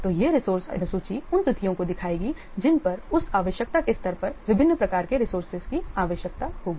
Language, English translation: Hindi, So this resource schedule will show the dates on which the different types of the resources will be required, the level of that requirement